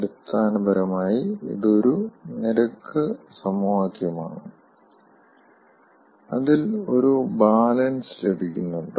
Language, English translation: Malayalam, basically we have to appreciate that this is a rate equation and we are getting some sort of a balance